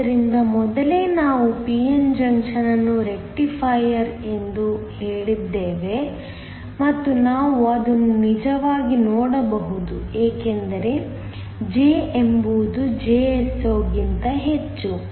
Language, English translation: Kannada, So, earlier we said that a p n junction is a Rectifier and we can actually see that it is because, J is much greater than Jso